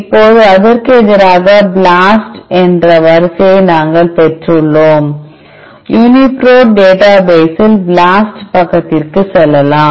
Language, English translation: Tamil, Now, that we got the sequence just BLAST it against, UniProt database let us go to BLAST side